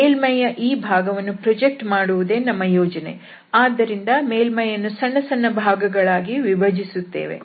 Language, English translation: Kannada, So, the idea here that we will project this portion of this surface, so, the surface will be divided again into small pieces